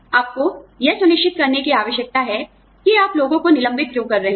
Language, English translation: Hindi, you need to be sure of, why you are laying people off